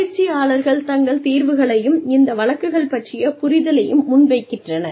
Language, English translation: Tamil, And, the trainees present their solutions, and their understanding of these cases